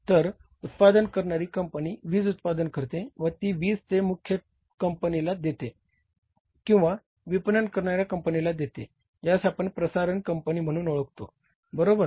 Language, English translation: Marathi, So, generation company generates the power and that gives to the central grid or the marketing company who is known as the transmission company